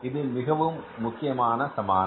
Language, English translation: Tamil, This is very important equation